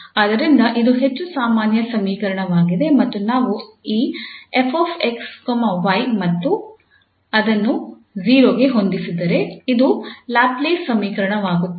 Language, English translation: Kannada, So this is more general equation and if we set this f x, y to 0 then this becomes Laplace equation